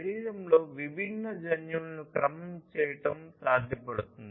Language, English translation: Telugu, It is possible to sequence the different genes in the body